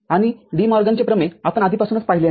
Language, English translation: Marathi, And De Morgan’s theorem, we have already seen